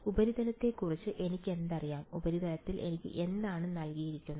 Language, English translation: Malayalam, What do I know about the surface, what is been given to me in the surface